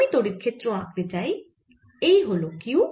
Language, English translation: Bengali, now, if i want to plot, the electric field, here is q